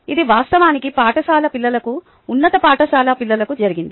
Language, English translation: Telugu, it was actually done for a school children, the high school children, but it has